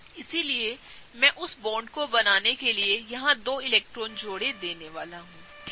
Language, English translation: Hindi, So, what I am going to do is I am gonna give the two electron pairs here to form that bond, okay